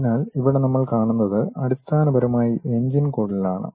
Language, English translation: Malayalam, So, here what we are seeing is, basically the engine duct